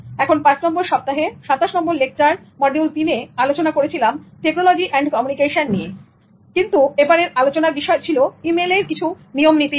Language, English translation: Bengali, Now the next lecture, the 27th lecture in the fifth week, module 3, was again on technology and communication but focused on email principles